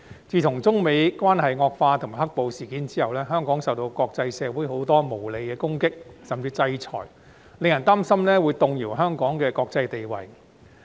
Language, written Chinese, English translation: Cantonese, 自從中美關係惡化及"黑暴"事件後，香港受到國際社會很多無理的攻擊甚至制裁，令人擔心會動搖香港的國際地位。, Hong Kong has been subject to many unreasonable criticisms and even sanctions in the international community since the deterioration of the Sino - US relations and the black - clad violence thus leading to the worry that Hong Kongs international status will be shaken